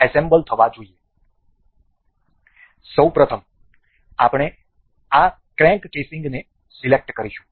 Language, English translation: Gujarati, First of all, we will pick this crank casing